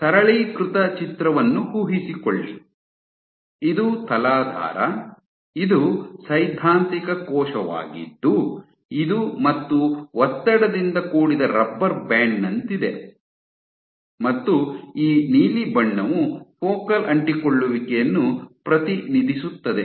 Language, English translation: Kannada, So, imagine a simplified picture where, this is my substrate, this is my theoretical cell which is like a, tensed rubber band and this blue represent my focal adhesion